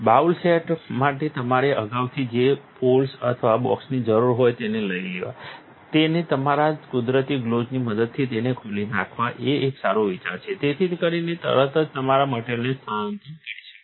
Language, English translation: Gujarati, It is a good idea to take up the poles or the box that you need for the bowl set in advance, open it with your natural gloves so then you could displace your stuff immediately